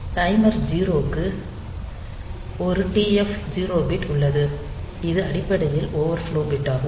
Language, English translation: Tamil, So, there is a TF 0 bit, which is basically the overflow bit